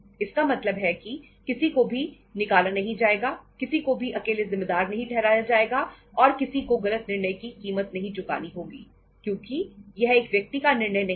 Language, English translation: Hindi, So it means nobody will be fired, nobody will be solely held responsible and nobody will be say paying the price for taking a wrong decision because it was not a one man decision